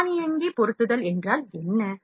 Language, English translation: Tamil, Auto positioning, what is auto positioning